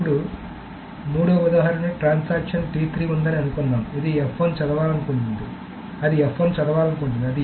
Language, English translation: Telugu, Then suppose the third example is that there is a transaction T3 which wants to read F1